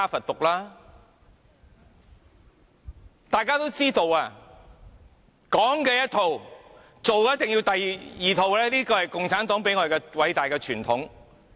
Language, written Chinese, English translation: Cantonese, 大家也知道，說的是一套，做的一定是要第二套，這是共產黨偉大的傳統。, We all learn that not practising what it preaches is the great tradition of the Communist Party